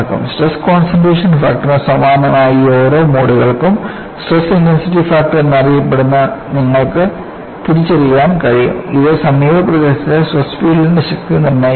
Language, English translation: Malayalam, For each of these modes, similar to the stress concentration factor, you could identify what is known as a stress intensity factor, which dictates the strength of the stress field in the near vicinity